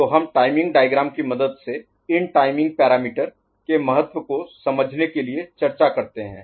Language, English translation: Hindi, So, we take help of this timing diagram to discuss, to understand the importance of these timing parameters